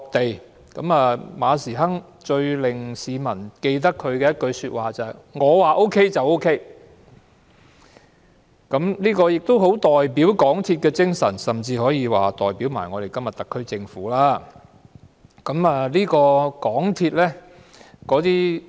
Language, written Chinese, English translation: Cantonese, 港鐵公司主席馬時亨最令市民印象深刻的一句是"我說 OK 便 OK"， 這句話盡顯港鐵的精神，甚至今天的特區政府也是這種態度。, The Chairman of the MTRCL Frederick MA once remarked that it is OK because I say so which is still vivid in the minds of the public . His words reflect not only the spirit of the MTRCL but also the attitude of todays SAR Government